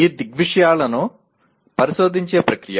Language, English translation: Telugu, Process of investigating these phenomena